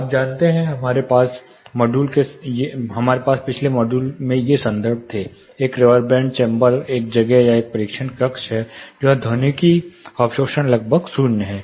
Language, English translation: Hindi, You know we had this references in the last module; reverberant chamber is a place or a testing room where the acoustic absorption is almost zero